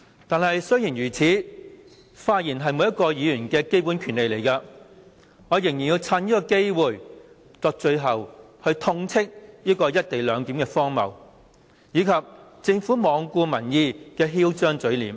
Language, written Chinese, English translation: Cantonese, 儘管如此，由於發言是每位議員的基本權利，因此我仍要趁此機會作最後發言，痛斥"一地兩檢"的荒謬，以及政府罔顧民意的囂張嘴臉。, Nevertheless I have to take this opportunity to deliver my final speech to reprimand the absurdity of the co - location arrangement as well as the snooty face of the Government in disregard of public opinion because it is the fundamental right of each and every Member to speak in this Chamber